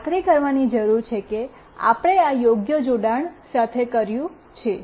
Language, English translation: Gujarati, So, we need to make sure that we are done with this proper connection